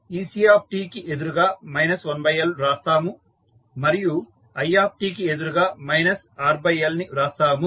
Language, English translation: Telugu, So, ec against ec we write minus 1 by L and against i t we write minus R by L